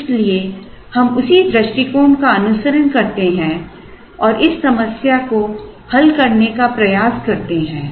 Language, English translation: Hindi, So, we follow the same approach and try to solve this unconstraint problem